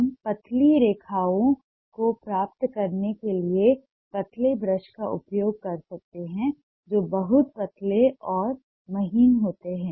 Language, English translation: Hindi, we may use thinner brush to get thin lines which are very thin and fine